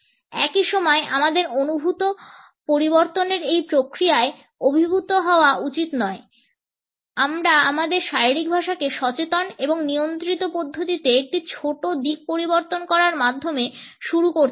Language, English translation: Bengali, At the same time we should not be overwhelmed by this process of perceived changes we can start by changing a smaller aspects in our body language and can do it in a conscious and controlled manner